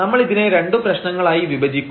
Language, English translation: Malayalam, So, we will break into two problems